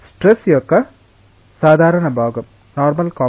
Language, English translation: Telugu, Normal component of the stress